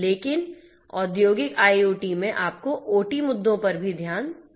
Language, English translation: Hindi, But in industrial IoT, you have to also take into issue into consideration the OT issues